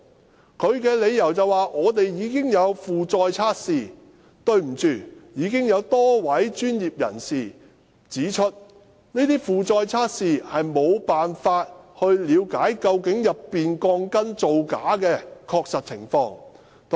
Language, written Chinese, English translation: Cantonese, 港鐵公司的理由是，他們已經有負載測試，但多位專業人士已指出，這些負載測試沒辦法了解鋼筋造假的確實情況。, MTRCL defended itself that the steel bars had undergone load tests . But according to several professionals a load test cannot assess how shoddy the shoddy steel fixing works are and it can only assess the present status of the steel bars